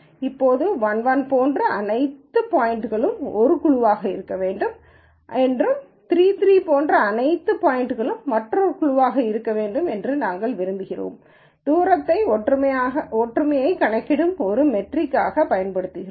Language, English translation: Tamil, Now, since we want all the points that are like 1 1 to be in one group and all the points which are like 3 3 to be in the other group, we use a distance as a metric for likeness